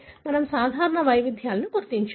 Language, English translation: Telugu, We have to identify the common variants